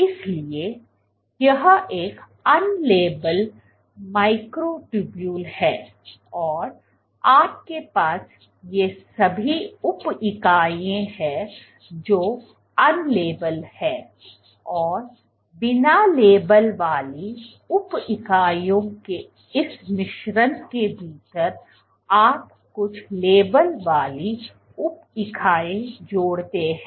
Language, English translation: Hindi, So, this is a unlabelled microtubule and what you add is among the; you have all these sub units which are unlabeled and within this mix of unlabelled sub units you add some labelled sub units